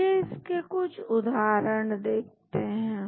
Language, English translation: Hindi, Let us look at some example